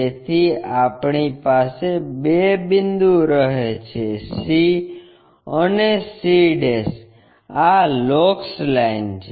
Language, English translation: Gujarati, So, we have two points c and c'; this is the locus line